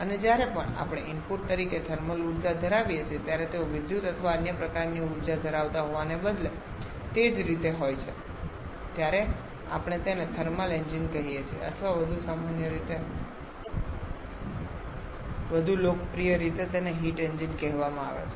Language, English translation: Gujarati, And they are similarly instead of having electrical or some other form of energy whenever we are having thermal energy as the input then we call them thermal engine or more commonly more popularly they are called heat engines